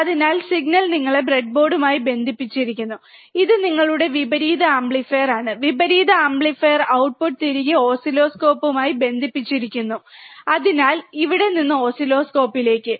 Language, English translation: Malayalam, So, signal is connected to your breadboard, it is your inverting amplifier, inverting amplifier output is connected back to the oscilloscope so, from here to oscilloscope